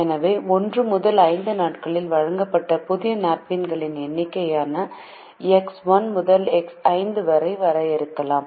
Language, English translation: Tamil, so we can define x one to x five as the number of new napkins bought on days one to five